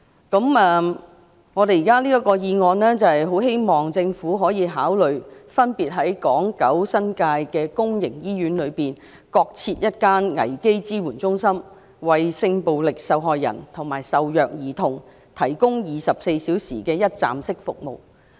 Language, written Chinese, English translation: Cantonese, 這項議案建議政府可以考慮分別在港、九、新界公營醫院內各增設一間危機支援中心，為性暴力受害人及受虐兒童提供24小時的一站式服務。, The motion proposes that the Government may consider setting up a crisis support centre CSC in public hospitals respectively in Hong Kong Island Kowloon and the New Territories to provide sexual violence victims and abused children with 24 - hour one - stop services